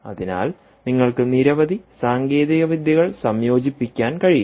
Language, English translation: Malayalam, so you can combine several technologies, right